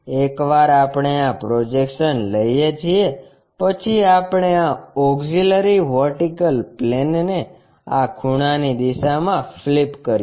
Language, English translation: Gujarati, Once we take these projections we flip this auxiliary vertical plane in line with this inclination angle